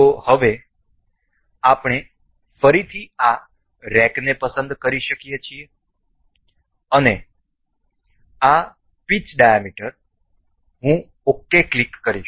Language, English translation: Gujarati, So, now, we can we again select this rack and this pitch diameter I will click ok